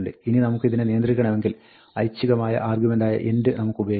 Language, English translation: Malayalam, Now, if we want to control this, we can use an optional argument called end